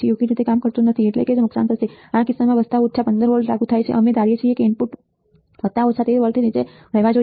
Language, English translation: Gujarati, Does not function properly means it will get damaged, in this case assuming plus minus 15 volts apply the input should stay below plus minus 13 volts right